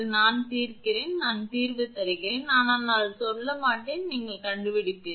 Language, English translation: Tamil, I will solve, I give the solution, but I will not tell, you will find it